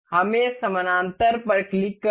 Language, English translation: Hindi, Let us click on parallel